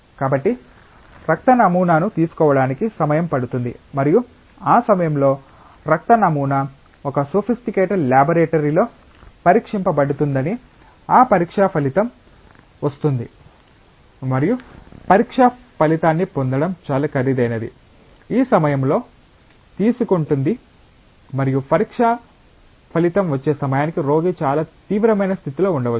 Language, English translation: Telugu, So, it takes time to take the blood sample let us say as an example and that blood sample is tested in a sophisticated laboratory by that time the result of that test comes and it is quite expensive to get the result of the test; at this time consuming and by the time the result of the test comes the patient may be under very serious condition